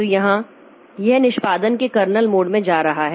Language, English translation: Hindi, So, here it is going into the kernel mode of execution